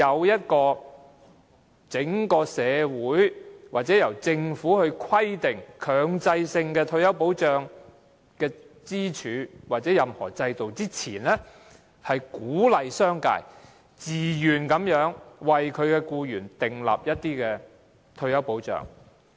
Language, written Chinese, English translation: Cantonese, 在整體社會還未建立由政府強制規定的退休保障制度前，容許這種對沖安排是為了鼓勵商界自願為僱員提供退休保障。, When a mandatory retirement protection system as required by the Government was not in place in the broader community the permission of such an offsetting arrangement served to encourage the business sector to provide employees with retirement protection on a voluntary basis